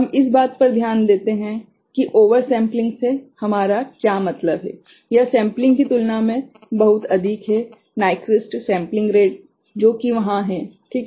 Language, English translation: Hindi, We take note of what we mean by over sampling that is much higher than the sampling Nyquist sampling rate that is there right